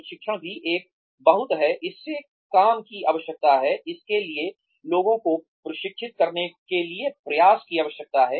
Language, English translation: Hindi, Training is also a very, it requires work, it requires effort, to train people